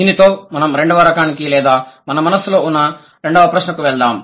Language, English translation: Telugu, With this, let's move over to the second type or to the second question that we had in mind